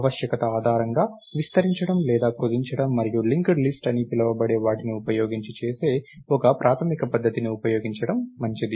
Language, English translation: Telugu, It would be nice to be able to expand or shrink based on the necessity and one basic way of doing that is used using what is called a linked list